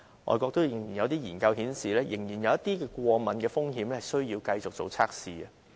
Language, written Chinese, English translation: Cantonese, 外國有研究顯示，這藥仍然有一些過敏的風險需要繼續進行測試。, An overseas study has revealed that tests have to be conducted continuously because this drug still poses some allergy risks